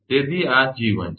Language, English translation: Gujarati, So, this is G1